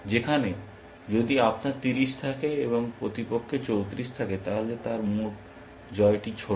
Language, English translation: Bengali, Whereas, if you have 30 and opponent has 34, then he has a smaller win